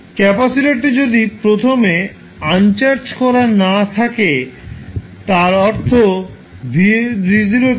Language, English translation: Bengali, If capacitor is initially uncharged that means that v naught is 0